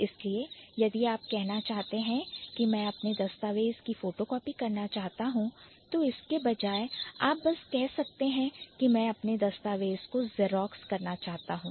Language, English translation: Hindi, So, if you want to say, I want to photocopy my document instead of that, you can simply say, I want to Xerox my document